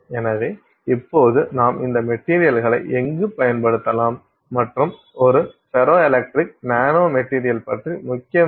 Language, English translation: Tamil, So, now where can we use these materials and what is so important about a ferroelectric nanomaterial